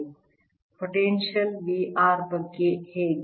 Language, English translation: Kannada, how about the potential v r